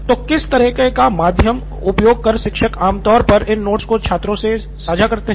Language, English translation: Hindi, Now, what kind of a medium or how do teachers usually share these notes with students